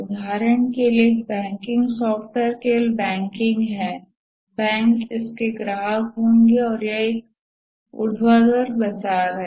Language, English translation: Hindi, For example, a banking software is only the banks will be the customer and that's a vertical market